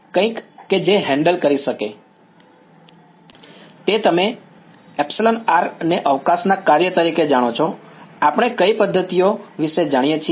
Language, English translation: Gujarati, Something that can handle you know epsilon r as a function of space, what are the methods that we know of